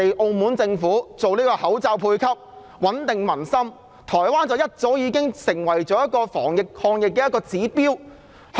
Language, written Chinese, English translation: Cantonese, 澳門政府實施口罩配給，穩定民心，而台灣則早已成為防疫、抗疫的指標。, The Macao Government has implemented mask rationing to reassure the public and Taiwan has long become a role model in containing and fighting the disease